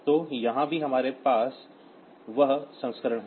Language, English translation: Hindi, So, here also we have that version